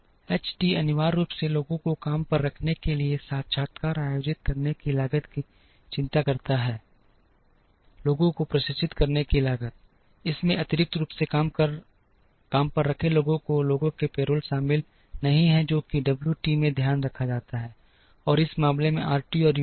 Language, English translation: Hindi, H t essentially concerns the cost of conducting interviews to hire people, the cost to train the people, it does not include the payroll of the additionally hired people, that is taken care in the W t, and in this case in RT and U t